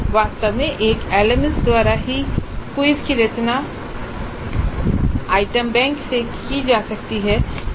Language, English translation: Hindi, In fact the quiz itself can be composed from the item bank by an LMS